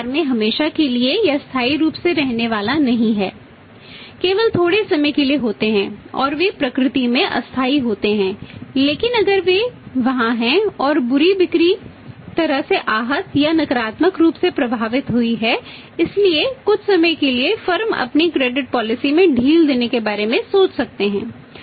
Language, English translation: Hindi, This not going to stay forever permanently in the market there only short firm that temporary and nature but they are there if they are there and sales have been badly hurt or negative hit so for the time being firms may think of relaxing its credit policy